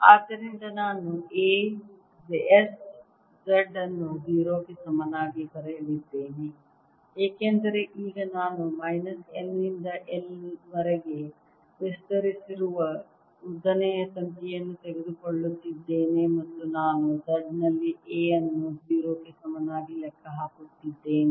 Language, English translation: Kannada, therefore, i am going to write a at s z equal to zero, because now i am taking a long wire extending from minus l to l and i am calculating a at z equal to zero